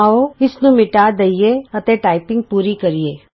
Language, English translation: Punjabi, Lets delete it and complete the typing